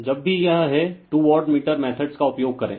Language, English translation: Hindi, So, whenever whenever this, go for two wattmeter methods